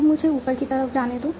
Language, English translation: Hindi, Now let me go upwards